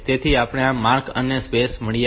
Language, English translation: Gujarati, So, we have got this mark and space